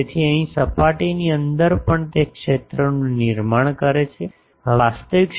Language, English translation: Gujarati, So, here inside the surface also it is producing that field outside also producing that field etc